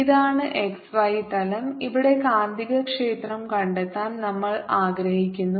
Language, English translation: Malayalam, this is the x, y plane and here is the point where we want to find the magnetic field